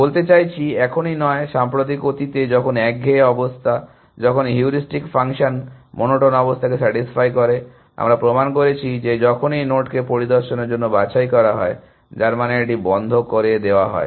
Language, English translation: Bengali, I mean not just now, but in the recent past, when the monotone condition, when the heuristic function satisfies the monotone condition, we proved that, whenever node is picked for inspection, which means it is put in to close